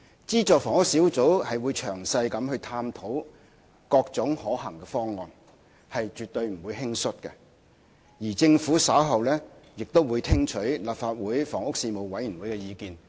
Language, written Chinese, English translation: Cantonese, 資助房屋小組會詳細探討各種可行的方案，絕不會輕率行事，而政府稍後亦會聽取立法會房屋事務委員會的意見。, The Committee will thoroughly explore all feasible options and will not act hastily . Later on the Government will also listen to the views of the Panel on Housing of the Legislative Council